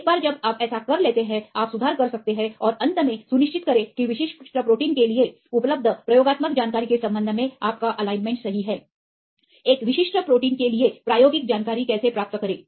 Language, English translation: Hindi, Once you do that you can make the corrections and finally, make sure that your alignment is correct right with respect to the experimental information available for the particular protein